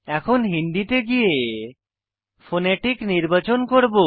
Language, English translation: Bengali, Now I will select Hindi then i will select Phonetic